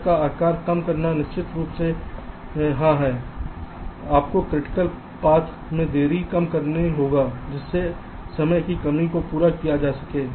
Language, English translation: Hindi, reducing cut size is, of course, yes, you have to minimize the delay in the critical paths, thereby satisfying the timing constraints